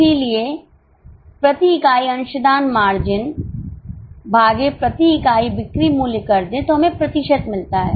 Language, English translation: Hindi, So, contribution margin per unit upon selling price per unit, we get percentage